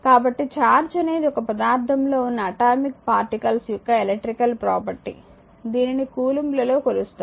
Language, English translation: Telugu, So, therefore, charge is an electrical property of the atomic particles of which matter consists measured in coulomb